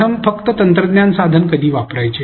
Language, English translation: Marathi, First when to use a technology tool at all